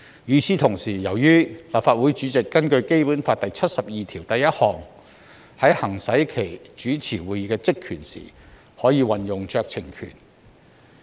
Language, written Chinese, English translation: Cantonese, 與此同時，根據《基本法》第七十二條第一項，立法會主席在行使其主持會議的職權時，可以運用酌情權。, At the same time under Article 721 of the Basic Law when the President of the Legislative Council is exercising the power and function of presiding over meetings he shall exercise his discretion